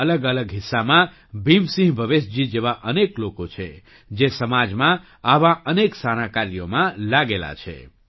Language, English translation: Gujarati, There are many people like Bhim Singh Bhavesh ji in different parts of the country, who are engaged in many such noble endeavours in the society